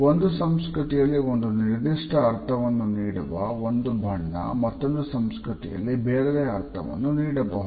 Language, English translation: Kannada, A color may have a particular meaning in a particular culture, but in the other culture it may have a different interpretation